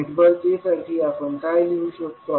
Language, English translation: Marathi, So, what we can write for network a